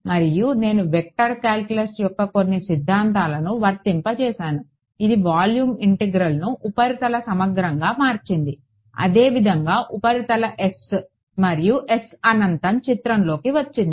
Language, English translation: Telugu, And, then I applied some theorems of vector calculus which converted a volume integral into a surface integral that is how the surface S and S infinity came into picture